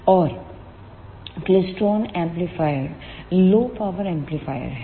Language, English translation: Hindi, And klystron amplifiers are the low power amplifiers